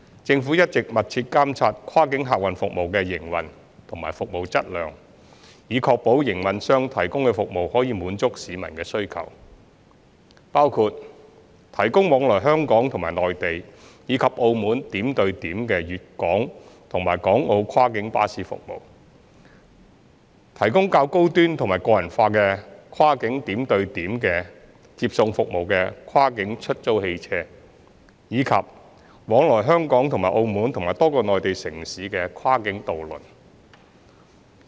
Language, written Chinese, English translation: Cantonese, 政府一直密切監察跨境客運服務的營運及服務量，以確保營辦商提供的服務能滿足市民的需求，包括： i 提供往來香港與內地及澳門點到點的粵港和港澳跨境巴士服務；提供較高端和個人化的跨境點對點接送服務的跨境出租汽車；及往來香港與澳門及多個內地城市的跨境渡輪。, The Government has been closely monitoring the operation and provision of cross - boundary passenger services to ensure that the services provided by operators can meet the demands of the community which include i GuangdongHong Kong and Hong KongMacao cross - boundary coach CBC services providing point - to - point connection between Hong Kong and the Mainland as well as Macao; ii cross - boundary hire cars providing higher - end and more personalized cross - boundary point - to - point transport services; and iii cross - boundary ferries plying between Hong Kong and Macao as well as a number of the Mainland cities